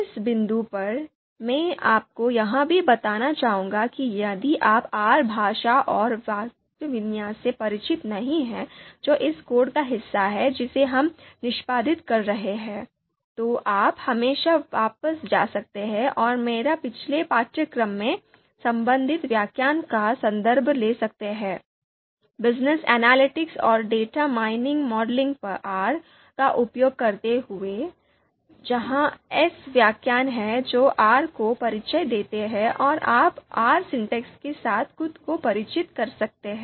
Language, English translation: Hindi, At this point, I would also like to tell you that if you are not familiar with the you know, if you are not familiar with the R language and the syntax that is part of this code that we are executing, you can always go back and refer to the relevant lecture in my previous course ‘Business Analytics and Data Mining Modeling using R’, where there are lectures where I covered introduction to R so that you can you know you can use those video lectures to familiarize yourself with the you know R syntax and there you would understand what we mean by these notation dollar ($) and other things